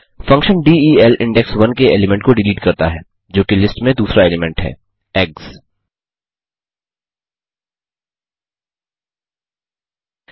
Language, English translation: Hindi, The function del deletes the element at index 1, i.e the second element of the list, eggs